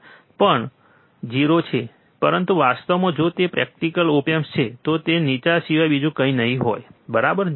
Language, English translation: Gujarati, This also 0, but in reality, if it is practical op amp, it would be nothing but low, alright